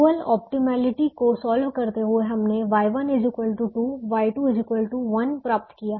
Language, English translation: Hindi, by solving the dual optimally, we got y one equal to two, y two equal to one